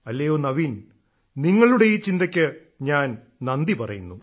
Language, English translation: Malayalam, Bhai Naveen, I congratulate you on your thought